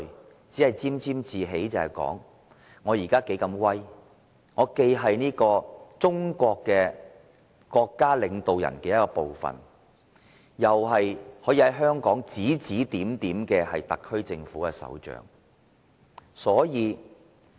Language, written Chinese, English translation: Cantonese, 他只顧沾沾自喜，想着自己現在有多威風，既是中國國家領導人之一，又是在香港指指點點的特區政府首長。, He is overwhelmed by complacency savouring how prestigious he is to be one of the State leaders of China and the head of the SAR Government to manipulate things in Hong Kong